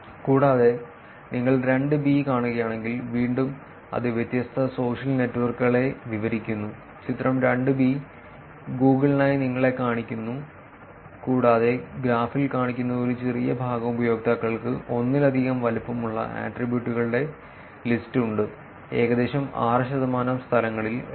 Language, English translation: Malayalam, Also if you see 2, again it’s describing all the different social networks; figure 2 is showing you for Google plus the graph shows that only a small fraction of users has list of attributes with sizes greater than one being around 6 percent of places lived 2